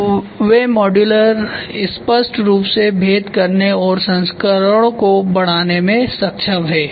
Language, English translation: Hindi, So, they are able to clearly distinguish modular and increase the versions